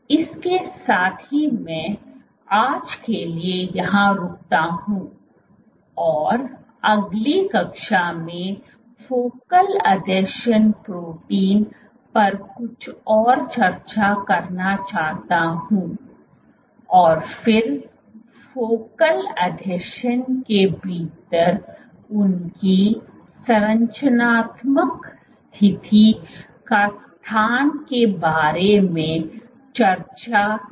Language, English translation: Hindi, With that I stop here for today and I will continue in next class discussing some more of the focal adhesion proteins and then discussing about their structural position or location within the focal adhesion